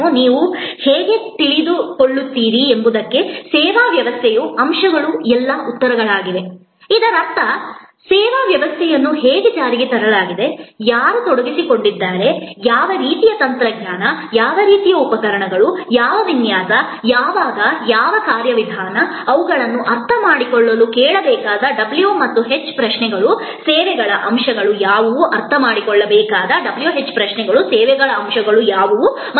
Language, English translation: Kannada, So, in sort come in to today’s topic, elements of a services system will be all the answers to the why how you know the w and h questions as we say; that means, how is the service system implemented, what who are the people who are involved, what kind of technology, what kind of equipment, what layout, when what procedure, these are the w and h questions which as to be ask to understand that what are the elements of services